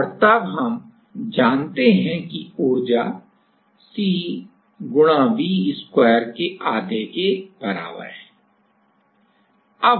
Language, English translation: Hindi, And, then we know that energy is equals to half of C into V square